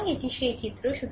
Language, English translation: Bengali, So, this is the figure